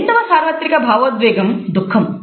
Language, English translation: Telugu, The third universal emotion is that of fear